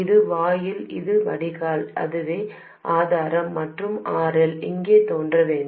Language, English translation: Tamil, This is the gate, this is the drain, this is the source, and RL must appear over there